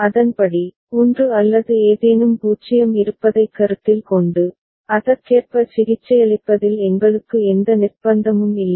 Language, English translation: Tamil, Accordingly we do not have any compulsion of if there was a 1 or something 0 considering, treating it accordingly ok